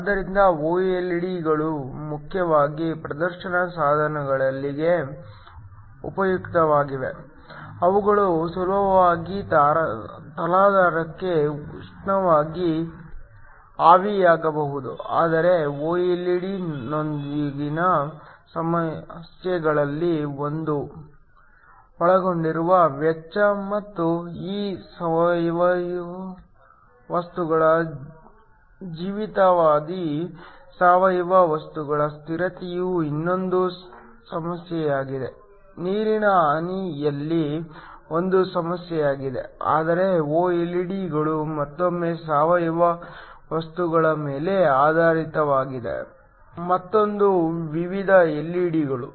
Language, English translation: Kannada, So, OLED’s are useful mainly for display devices, they can easily be a thermally evaporated on to a substrate, but one of the problems with OLED’s is of course, the cost that is involved and the life span of these organic materials stability of the organic material is another issue, water damage is an issue there, but OLED’s are again another type of LED's which are based upon organic materials